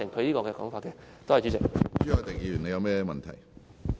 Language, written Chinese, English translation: Cantonese, 朱凱廸議員，你有甚麼問題？, Mr CHU Hoi - dick what is your point?